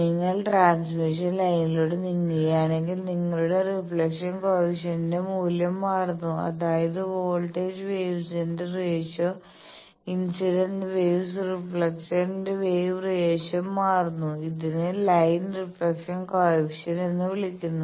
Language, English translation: Malayalam, If you move across the transmission line your reflection coefficient value changes; that means, the ratio of voltage wave reflected wave by incident wave that changes, this is called line reflection coefficient gamma x is a line reflection coefficient